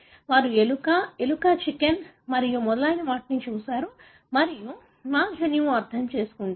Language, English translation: Telugu, They looked at mouse, rat, chicken and so on and go on to understand our genome